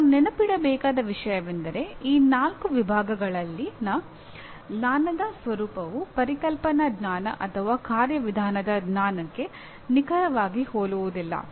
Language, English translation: Kannada, Now what one should be cautious about, the nature of knowledge in these four categories will not be exactly similar to let us say conceptual knowledge or procedural knowledge